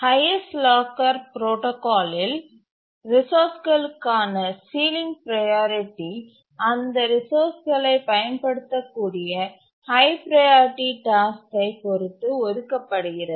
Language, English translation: Tamil, In the highest locker protocol, sealing priorities are assigned to resources depending on what is the highest priority task that may use that resource